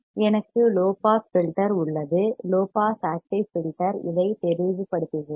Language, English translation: Tamil, I have a low pass filter a low pass active filter let me just clear this point